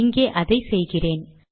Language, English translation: Tamil, Let us do it here